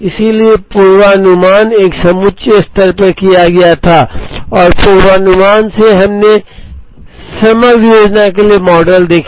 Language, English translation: Hindi, So, forecasting was done at a reasonably aggregate level and from forecasting, we saw models for aggregate planning